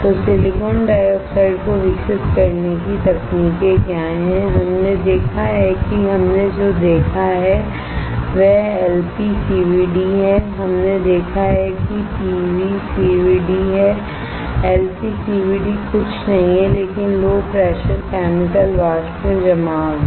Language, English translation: Hindi, So, what are the techniques for growing the silicon dioxide, we have seen that one we have seen is LPCVD, we have seen is PECVD, LPCVD is nothing but Low Pressure Chemical Vapor Deposition